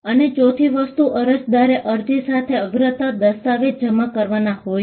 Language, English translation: Gujarati, The fourth thing the applicant has to file along with this application is the priority document